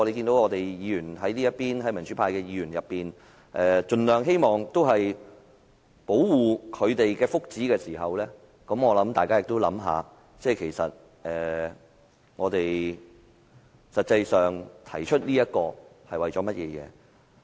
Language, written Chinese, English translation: Cantonese, 當大家看到民主派議員盡量希望保護他們的福祉時，我希望大家也想一想，我們為何要提出這項議題。, While everyone can see that we pro - democracy camp Members are trying our best to protect these peoples well - beings I hope Members will think about the question why we raise this issue